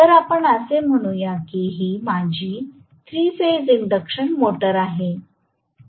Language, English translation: Marathi, So, let us say this is my 3 phase induction motor